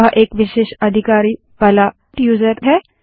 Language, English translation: Hindi, He is a special user with extra privileges